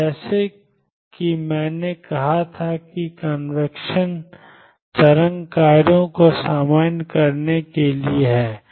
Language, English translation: Hindi, Now, it is as I said convention is to normalize the wave functions